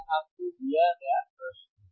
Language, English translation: Hindi, tThis is the question given to you